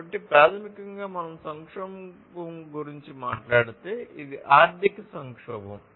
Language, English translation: Telugu, So, basically if we talk about crisis so, let us say that this is the economic crisis